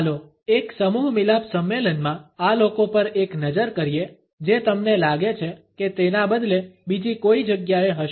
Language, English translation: Gujarati, Let us take a look at these folks at a networking event which one do you think would rather be someplace else